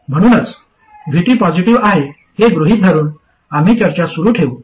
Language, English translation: Marathi, So we will continue the discussion assuming that VT is positive